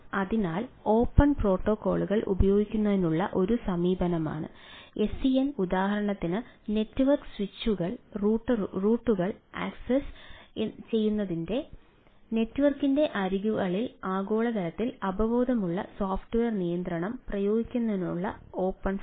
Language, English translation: Malayalam, so sdn is an approach of using open protocols, like, for example, open flow, to apply globally aware software control at the edges of the network to access network switches, routers that are typically would use closed and proprietary from one